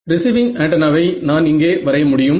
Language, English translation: Tamil, So, receiving antenna is so, I can just draw this